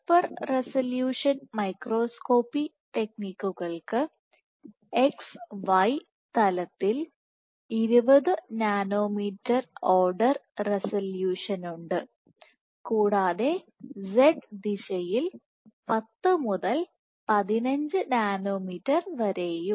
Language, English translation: Malayalam, So, super resolution microscopy techniques have resolution of order 20 nanometers in X Y plane, and order 10 to 15 nanometers in Z direction